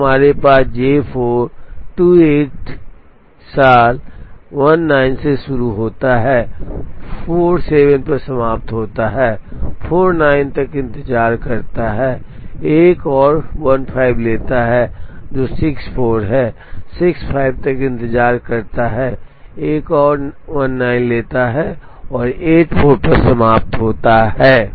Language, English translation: Hindi, Then we have J 4 starts at 28 plus 19 finishes at 47, waits till 49 takes another 15 which is 64, waits till 65 takes another 19 and finishes at 84